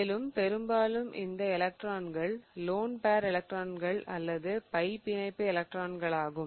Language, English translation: Tamil, And more often these electrons are the lone pair electrons or the pi bond electrons